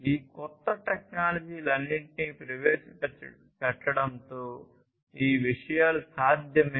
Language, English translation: Telugu, So, all these things are possible with the introduction of all these new technologies